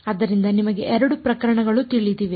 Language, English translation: Kannada, So, there are you know 2 cases possible